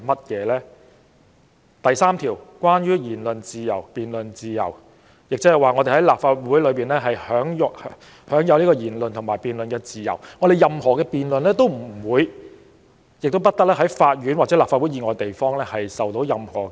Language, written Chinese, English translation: Cantonese, 《條例》第3條關於言論自由和辯論自由，即我們在立法會享有言論和辯論自由，任何辯論都不會、亦不得在法院或立法會以外地方受到質疑。, Section 3 of the Ordinance is about freedom of speech and debate ie . there shall be freedom of speech and debate in the Council and such freedom of speech and debate shall not be liable to be questioned in any court or place outside the Council